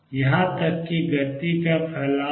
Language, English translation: Hindi, Even the momentum has a spread